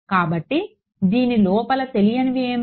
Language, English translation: Telugu, So, then what are the unknowns inside this